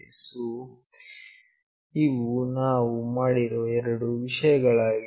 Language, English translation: Kannada, So, these are the two things that we have done